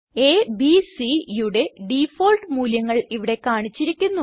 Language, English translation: Malayalam, The default values of A, B and C are displayed here